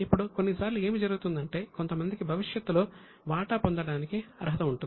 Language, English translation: Telugu, Now sometimes what happens is a few people are entitled to receive share in future